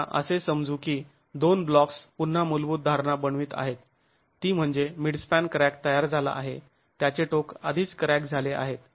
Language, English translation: Marathi, Now assuming that the two blocks, again a fundamental assumption that we are going to make is midspan crack has formed, the ends are already cracked and free to rotate